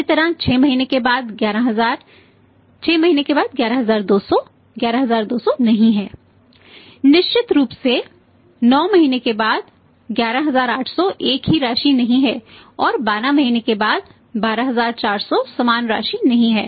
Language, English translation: Hindi, Similarly 11000 after 6 months 11200 after 6 months is not 11200 certainly 11800 after 9 months is not the same amount and 12400 after 12 month was not the same amount